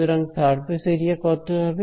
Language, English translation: Bengali, So, what is the surface area of this